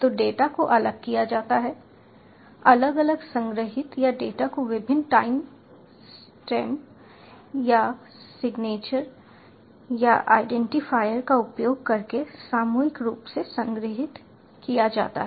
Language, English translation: Hindi, so the data is separated, ah separately stored, or data is collectively stored using various time stamps or signatures or identifiers